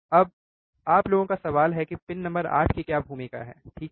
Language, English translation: Hindi, Now, the question to you guys is what is a role of pin number 8, right